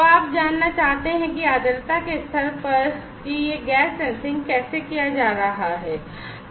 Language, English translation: Hindi, So, you want to know that at humidity level that how this gas sensing is being performed